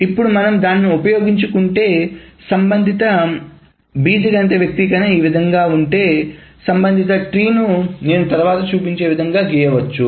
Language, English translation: Telugu, Now if we utilize it, if the relational algebra expression is this way, the corresponding tree can be drawn in the manner that I will show next